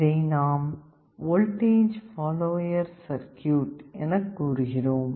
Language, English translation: Tamil, This is called a voltage follower circuit